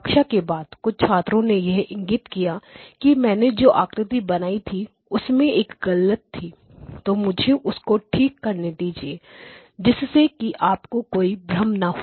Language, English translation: Hindi, After the class one of the students few students pointed out that there was a mistake in the figure that I drew so let me just correct that figure so that you will not have a confusion